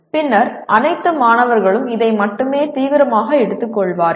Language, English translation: Tamil, Then only all the students will take it seriously